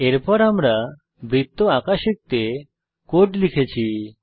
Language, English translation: Bengali, Next I have entered the code to learn to draw a circle